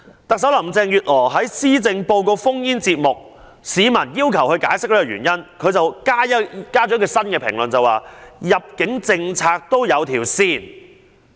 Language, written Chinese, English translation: Cantonese, 特首林鄭月娥在施政報告 phone-in 節目中被問及有關原因，她新增了一個評論，指入境政策也有一條線。, When asked about the reasons in a phone - in programme on her Policy Address Chief Executive Carrie LAM added one more comment saying that the immigration policy has to follow a bottom line as well